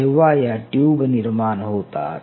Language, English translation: Marathi, They will never form a tube